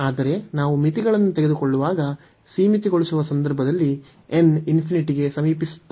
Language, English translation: Kannada, But, when we are taking the limits, so in the limiting case when n is approaching to infinity